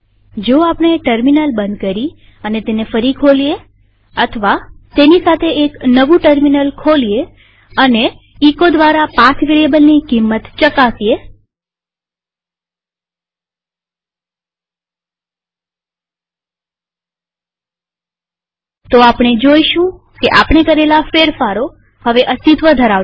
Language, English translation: Gujarati, If we close the terminal and open it again or open a new terminal altogether and check the path variable by echoing its value we will be surprised to see that our modifications are no longer present